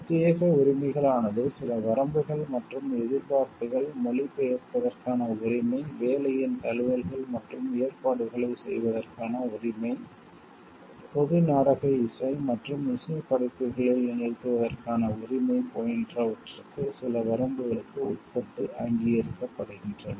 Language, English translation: Tamil, Exclusive rights recognized subject to certain limitations and expectations the right to translate, the right to make adaptations and arrangements of the work, the right to perform in public dramatic, dramatic musical and musical works